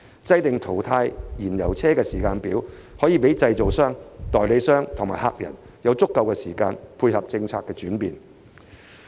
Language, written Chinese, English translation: Cantonese, 制訂淘汰燃油車時間表，可以讓製造商、代理商及駕駛者有足夠時間配合政策轉變。, Drawing up a timetable for phasing out fuel - propelled vehicles will give manufacturers dealers and motorists enough time to cope with policy changes